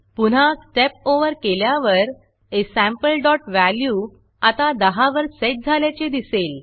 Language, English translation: Marathi, When I say Step Over again, you will notice that aSample.value is now set to10